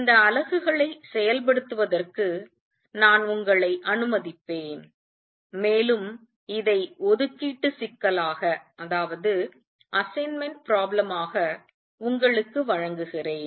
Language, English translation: Tamil, I will let you work out these units and give this as an assignment problem